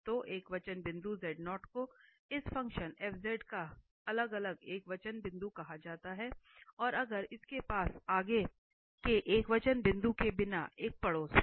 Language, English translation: Hindi, So, the singular point z naught is called isolated singular point of this function fz, if this z equal to z0 has a neighbourhood without further singular point